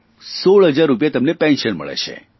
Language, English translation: Gujarati, He receives a pension of sixteen thousand rupees